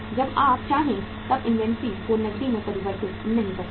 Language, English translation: Hindi, You cannot convert inventory into the cash as and when you want it